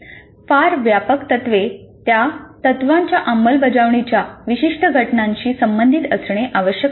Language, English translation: Marathi, The very broad principles must be related to specific instances of the application of those principles